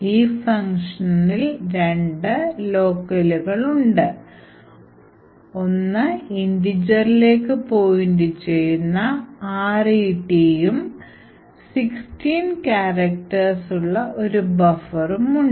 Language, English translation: Malayalam, So, in this particular function we have two locals we have pointer to an integer which is known as RET and a buffer which is of 16 characters